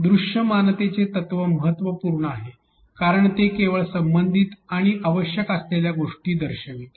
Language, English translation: Marathi, The principle of visibility is important because it will show things only which are relevant and necessary